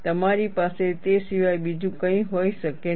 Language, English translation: Gujarati, You cannot have anything other than that